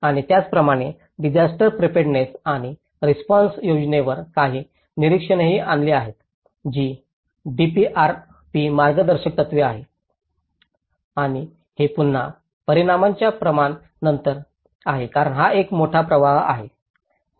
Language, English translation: Marathi, And similarly, there have been some observations on the disaster preparedness and response plan which is a DPRP Guidelines and this is again after the scale of impact because this is a major impact 7